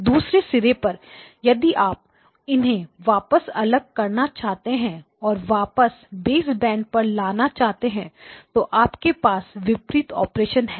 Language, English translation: Hindi, At the other end if you want to separate them out and bring them back to baseband you have the reverse operation